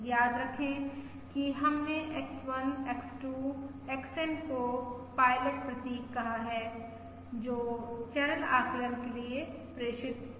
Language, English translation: Hindi, Remember, we have said X1, X2… XN are the pilot symbols that are transmitted for channel estimation